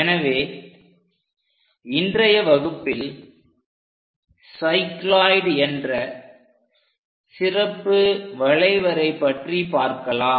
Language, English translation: Tamil, So, in today's class, we are going to learn about a special curve name, cycloid